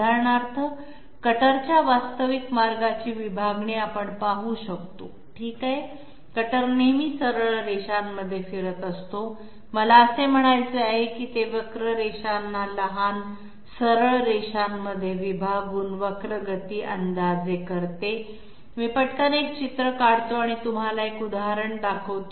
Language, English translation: Marathi, For example, we might see the division of the actual path of the cutter okay, the cutter is always moving straight line I mean it it it approximates a curvilinear motion by breaking it up into small straight lines, let me quickly draw and show you an example or do I have an example here